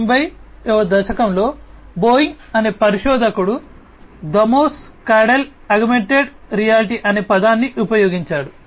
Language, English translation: Telugu, In the 1990s, Boeing researcher, Thamos Caudell coined the term augmented reality